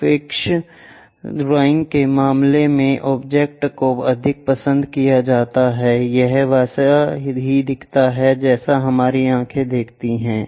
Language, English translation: Hindi, In the case of perspective drawing, the object more like it looks more like what our eyes perceive